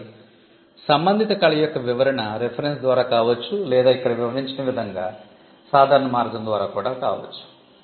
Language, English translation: Telugu, So, description of the related art could be through reference or it could also be through a general way as it is described here